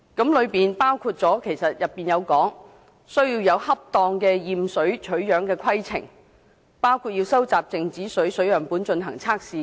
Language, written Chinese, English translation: Cantonese, 當中的建設包括：訂立恰當的驗水取樣規程，以及收集靜止水樣本進行測試等。, Those recommendations include devising an appropriate sampling protocol and collecting samples of stagnant water for testing